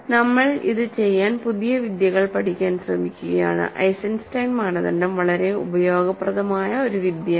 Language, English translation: Malayalam, So, we are just trying to learn new techniques to do it and Eisenstein criterion is an extremely useful technique